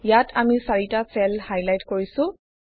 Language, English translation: Assamese, Here we have highlighted 4 cells